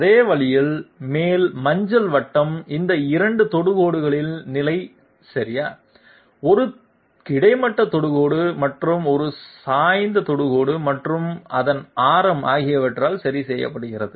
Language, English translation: Tamil, In the same way, the upper yellow circle is fixed by the position of these 2 tangents okay, one horizontal tangent and one inclined tangent and its radius